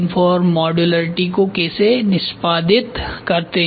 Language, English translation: Hindi, How do we execute design for modularity